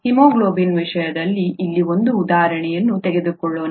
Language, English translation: Kannada, Let us take an example here in the case of haemoglobin